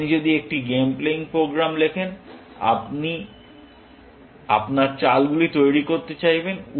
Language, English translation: Bengali, If you are writing a game playing program, you would like to generate your moves